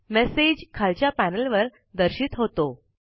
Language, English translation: Marathi, The message is displayed in the panel below